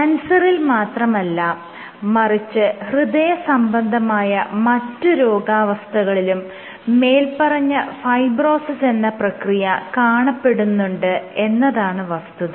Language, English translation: Malayalam, So, this fibrosis happens not only in case of cancer, but even in cardiovascular diseases